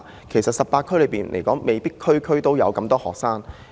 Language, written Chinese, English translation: Cantonese, 其實未必全港18區都有這麼多學生。, There might not necessarily be so many students in each of all 18 districts across the territory